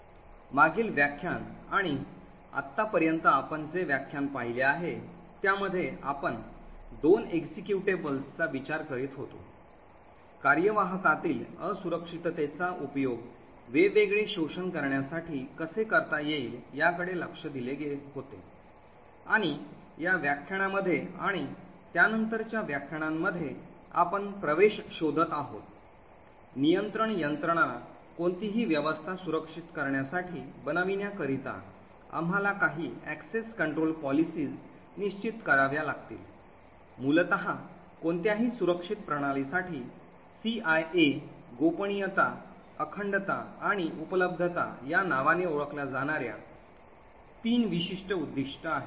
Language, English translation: Marathi, In the previous lecture and the lecture that we have seen so far we were considering two executables, we had looked at how vulnerabilities in the executable can be used to create different exploits, in this lecture and the lectures that follow we have been looking at access control mechanisms, so for any system to be, designed to be secure we would have to ensure some access control policies, essentially for any secure systems there are three specific goals it is known as the CIA, confidentiality, integrity and availability